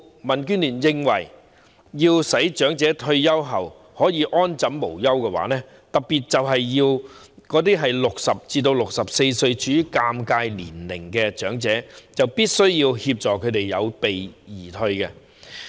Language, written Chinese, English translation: Cantonese, 民主建港協進聯盟認為，要令長者退休後可以安枕無憂，特別是那些年屆60歲至64歲這段尷尬時期的長者，就必須協助他們有備而退。, The Democratic Alliance for the Betterment and Progress of Hong Kong DAB considers that to make elderly persons especially those in the 60 to 64 age group which is the awkward period be free of worry after retirement we must help them get well prepared beforehand